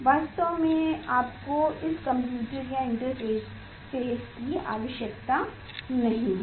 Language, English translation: Hindi, actually, you do not need this computer or intervene